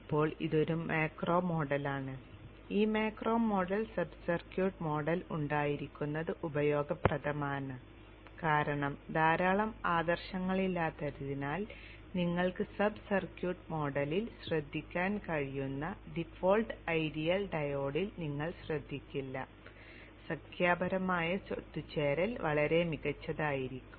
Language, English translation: Malayalam, It is useful to have this macro model, sub circuit model because there are a lot of non idealities which will not take care in the default ideal diode which you can take care in the sub circuit model and it will the convergence, numerical convergence will be much better